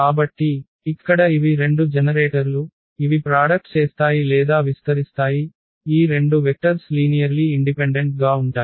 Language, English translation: Telugu, So, here these are the two generators which generates the solution or the they span the solution, also these two vectors are linearly independent